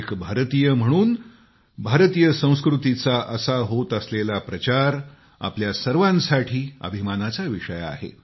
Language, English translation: Marathi, The dissemination of Indian culture on part of an Indian fills us with pride